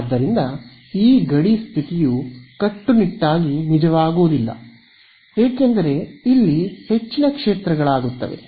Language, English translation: Kannada, So, this boundary condition will not be strictly true because there are more fields over here